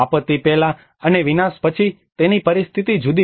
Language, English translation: Gujarati, His situation is different before disaster and after disaster